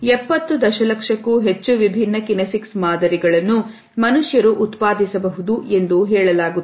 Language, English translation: Kannada, It is said that more than 70 million different physical science can be produced by humans